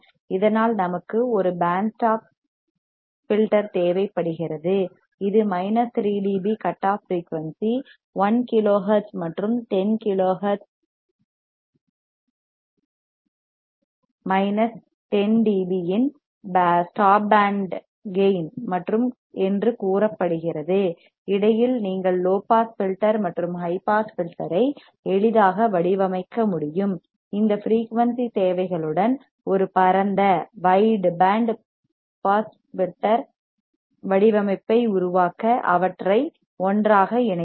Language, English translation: Tamil, Thus we require a band stop filter to have it is minus 3 dB cutoff frequency say 1 kilo hertz and 10 kilo hertz a stop band gain of minus 10 d B, in between, you can easily design a low pass filter and a high pass filter, with this frequency requirements, and simply cascade them together to form a wide band pass filter design